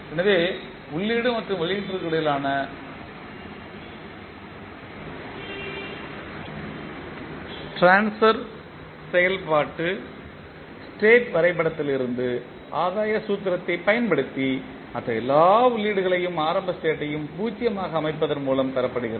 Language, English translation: Tamil, So transfer function between input and output is obtained from the state diagram by using the gain formula and setting all other inputs and initial state to 0